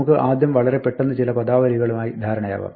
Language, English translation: Malayalam, Let us first quickly settle on some terminology